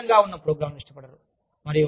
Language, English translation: Telugu, They do not like programs, that are vague